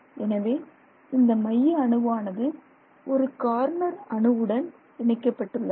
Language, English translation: Tamil, So, this one, this one, this is also a corner atom